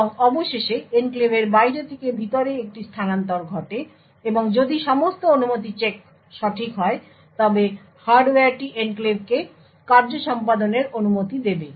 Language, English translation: Bengali, And finally, there is a transfer from outside the enclave to inside the enclave and if all permission have been check are correct the hardware will permit the enclave function to execute